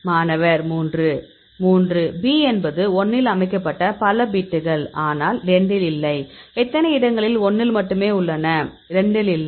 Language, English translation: Tamil, 3; so B is a number of bits set in 1, but not in 2; how many cases present only in 1 and not in 2